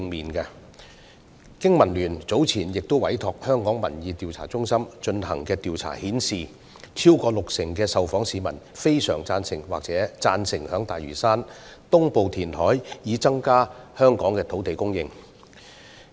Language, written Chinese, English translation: Cantonese, 香港經濟民生聯盟早前委託香港民意調查中心進行的調查顯示，超過六成受訪市民非常贊成或贊成在大嶼山東部填海以增加香港的土地供應。, As shown by a survey conducted by the Hong Kong Public Opinion Research Centre commissioned by the Business and Professionals Alliance for Hong Kong BPA earlier more than 60 % of the respondents strongly agree or agree that reclamation in the east of Lantau is a means to increase land supply in Hong Kong